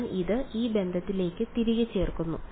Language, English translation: Malayalam, I plug it back into this relation right